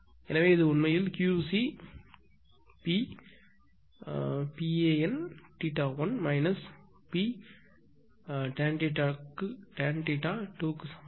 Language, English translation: Tamil, Therefore this is actually Q c is equal to P tan theta 1 minus P tan theta 2